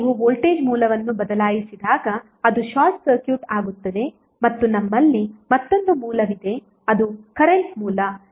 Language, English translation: Kannada, Now when you replace the voltage source it will become short circuited and we have another source which is current source that is 2A current source